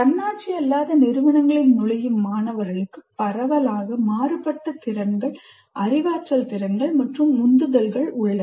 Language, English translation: Tamil, The students entering non autonomous institutions have widely varying competencies, cognitive abilities and motivations